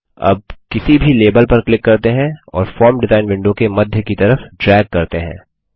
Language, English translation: Hindi, Now let us click and drag on any label, toward the centre of the form design window